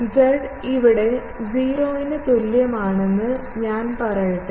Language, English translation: Malayalam, Let me put z is equal to 0 here